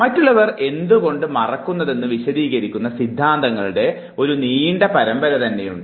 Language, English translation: Malayalam, There are series of theories which explains why people forget